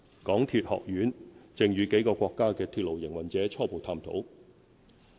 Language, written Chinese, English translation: Cantonese, 港鐵學院正與幾個國家的鐵路營運者初步探討。, The MTR Academy has embarked on initial discussions with the rail operators of several countries